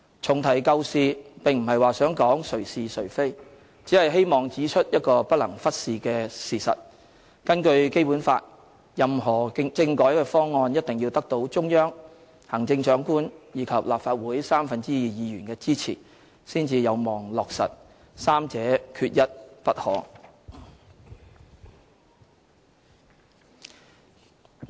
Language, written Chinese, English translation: Cantonese, 重提舊事，並非在指責誰是誰非，只是希望指出一個不能忽視的事實：根據《基本法》，任何政改方案，一定要得到中央、行政長官及立法會三分之二議員的支持，才有望落實，三者缺一不可。, I am not trying to put the blame on anyone by bringing up the whole issue once again but would only like to point out the following fact which we can hardly ignore Under the Basic Law a political reform package can only be endorsed when it has obtained support from the Central Authorities the Chief Executive and two thirds of all Members of the Legislative Council and none of the three is dispensable